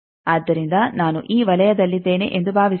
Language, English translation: Kannada, So, suppose I am on this circle